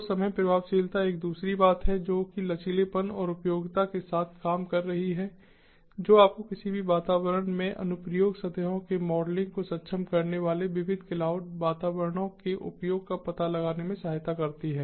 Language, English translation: Hindi, second thing is dealing with fix flexibility and applicability, supporting, you know, the use of diverse cloud environments enabling the modeling of application surfaces in any environment